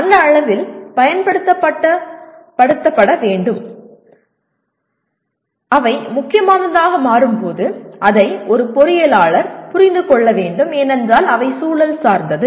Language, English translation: Tamil, And to that extent when to apply, when they become important an engineer needs to understand, because they are context dependent